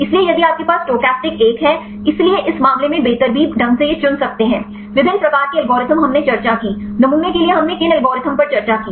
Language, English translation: Hindi, So, if you have the stochastic one; so in this case randomly it can choose; the different types of algorithms we discussed; which algorithms we discussed for the sampling